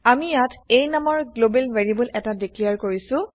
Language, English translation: Assamese, Here we have declared a global variable a